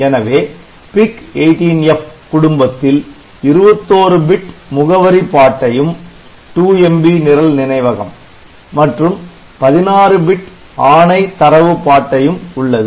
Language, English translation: Tamil, So, this PIC18F family so, it has got 21 bit address bus that is 2MB of memory program memory and 16 bit instruction or data bus